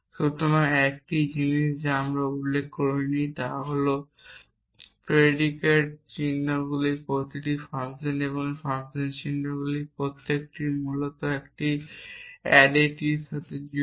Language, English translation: Bengali, which I have not at mentioned is that each of these predicate symbols or each of these function symbols has associated with an arity essentially